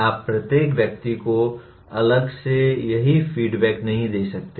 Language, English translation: Hindi, You cannot give this feedback to each and every individual separately